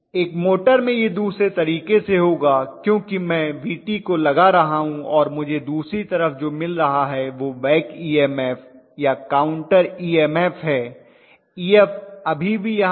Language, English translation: Hindi, In a motor it will just other way around right because I am applying Vt and what I am getting on other side of the back EMF or counter EMF is Ef that is still be there